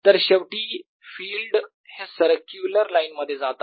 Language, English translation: Marathi, after all, field goes in a circular line